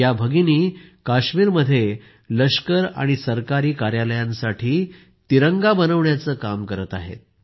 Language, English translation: Marathi, In Kashmir, these sisters are working to make the Tricolour for the Army and government offices